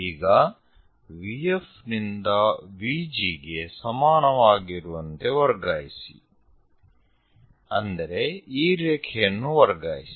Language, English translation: Kannada, Now, transfer VF is equal to VG; this is the one transfer this line